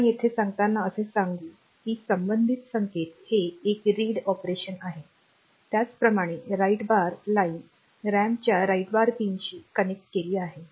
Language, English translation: Marathi, So, any of them being we will get that corresponding signal here telling that it is a it is read operation similarly write bar line is connected to the write bar pin of the RAM